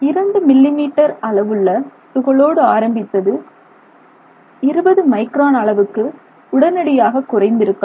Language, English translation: Tamil, Maybe what started off as 2 millimeter size may suddenly have dropped to say 20 microns